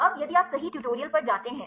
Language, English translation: Hindi, Now, if you go to the tutorial right